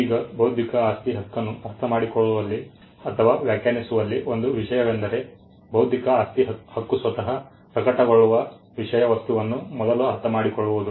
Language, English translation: Kannada, Now, one of the things in understanding or in defining intellectual property right, is to first understand the subject matter on which the intellectual property right will manifest itself on